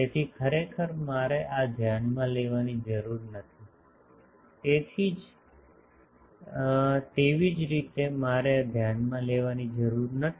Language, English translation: Gujarati, So, actually I need not consider these, similarly I need not consider this